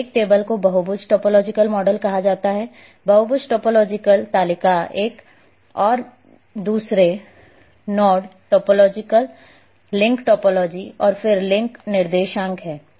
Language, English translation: Hindi, So, one table is called polygon topology model,polygon topology table another one is a node topology, link topology and then link coordinates